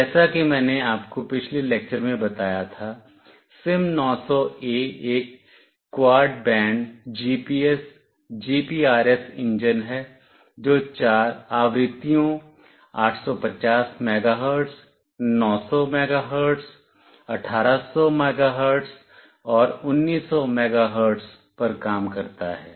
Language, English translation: Hindi, As I told you in the previous lecture, SIM900A is a quad band GPS, GPRS engine which works on four frequencies, 850 megahertz, 900 megahertz, 1800 megahertz, and 1900 megahertz